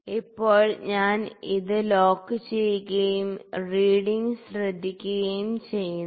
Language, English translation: Malayalam, Now, I lock this thing and note the reading